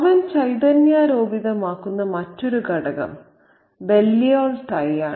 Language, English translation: Malayalam, The other element that he fetishizes is the Balliol tie